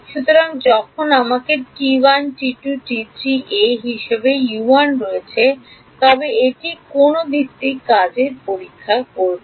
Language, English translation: Bengali, So, when I have U 1 which testing which basis function would it have been